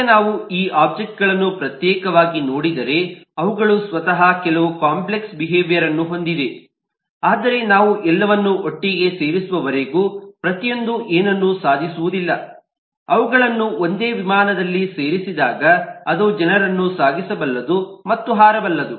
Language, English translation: Kannada, now if we look into this object individually, they themselves have some complex behavior, but with each by themselves do not really achieve anything till we put them all together, connect them all together into a single airplane which can fly and carry people